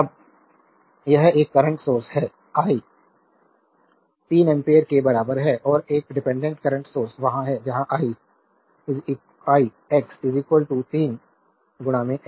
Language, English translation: Hindi, Now, this one a current source is there is i s equal to 3 ampere and a dependent current source is there where i x is equal to 3 into i s